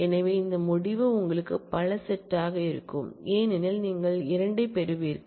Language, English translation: Tamil, So, you will have this result itself will be a multi set because you will get 2 as